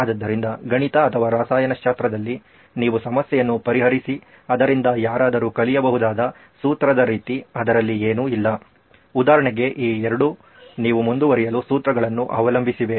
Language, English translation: Kannada, So nothing about a formula that anybody could learn up and actually solve like you have in mathematics or chemistry for example these two are rely on formulae to get you going